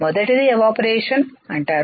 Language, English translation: Telugu, First is called Evaporation